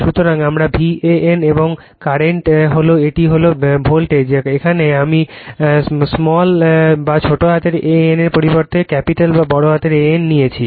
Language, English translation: Bengali, So, this is my V a n right; and current and this is the voltage in here I have taken capital A N instead of small a n